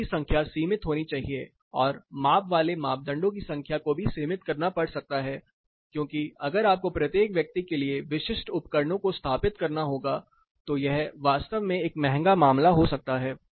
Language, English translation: Hindi, The numbers of questions have to be limited, and the number of measurement parameters also might have to be limited because, if you have to install such a set of specific instrumentation for each person it may be really a costly affair